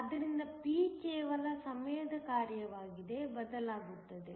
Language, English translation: Kannada, So, p will only change as a function of time